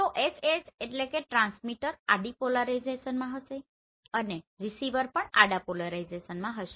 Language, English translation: Gujarati, So HH means the transmitter will be in horizontal polarization and receiver will be in horizontal polarization